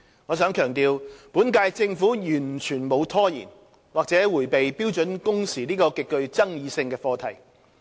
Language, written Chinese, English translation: Cantonese, 我想強調，本屆政府完全沒有拖延或迴避標準工時這個極具爭議性的課題。, I wish to emphasize that the current Government has never procrastinated on or evaded the extremely controversial issue of standard working hours